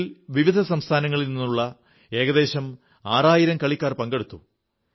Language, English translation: Malayalam, These games had around 6 thousand players from different states participating